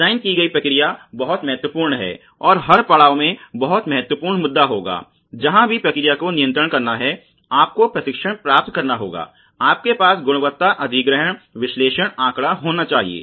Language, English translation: Hindi, Process designed is very, very important issue at every stage you will have to have process control, you will have to have training, you will have to have quality data acquisition analysis